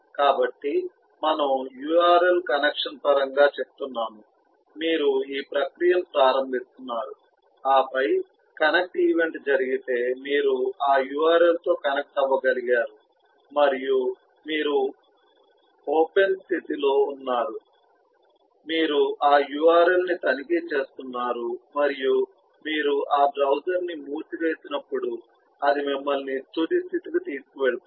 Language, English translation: Telugu, so we saying, in terms of a url connection, there is a created, that is eh, you are just beginning the process and then, if the connect event happens, you have been able to connect with that url and you open, you are in open state, you are checking that url and when you close that browser, you have a close event, it takes you to the final state